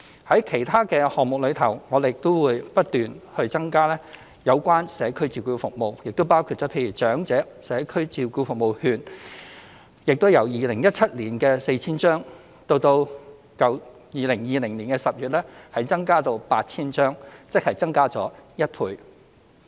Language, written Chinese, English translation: Cantonese, 在其他項目，我們也會不斷增加社區照顧服務，包括"長者社區照顧服務券"亦由2017年的 4,000 張，增至2020年10月的 8,000 張，即增加一倍。, As for other initiatives we will also continue to provide more community care services including the Community Care Service Voucher for the Elderly the number of which has been doubled from 4 000 in 2017 to 8 000 in October 2020